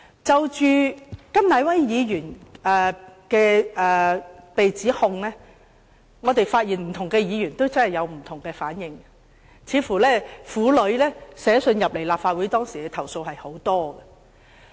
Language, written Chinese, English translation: Cantonese, 就着對甘乃威議員所作出的指控，我們發現不同的議員有不同的反應，當時似乎有很多婦女致函立法會作出投訴。, As regards the accusation made of Mr KAM Nai - wai we noticed diverse responses made by different Members . At the time it seemed that many women had sent letters of complaint to the Legislative Council